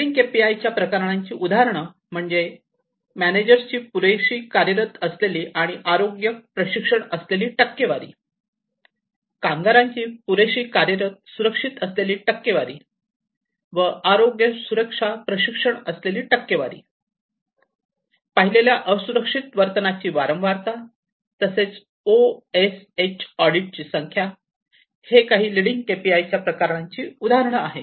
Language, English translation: Marathi, So, leading KPIs for example, percentage of managers with adequate operational and safety, health safety training, percentage of workers with adequate operational and safety training, then, frequency of observed unsafe behavior, number of OSH audits, these are some of these different KPIs under the leading KPIs category